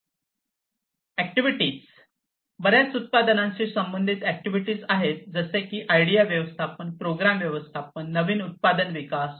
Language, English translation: Marathi, Activities, there are many products product associated activities such as idea management, program management, new product development, and so on